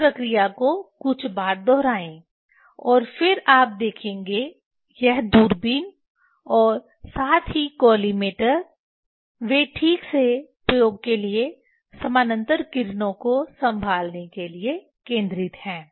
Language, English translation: Hindi, Repeat this operation few times and then you will see, this telescope as well as collimator, they are properly focused for handling the parallel rays for the experiment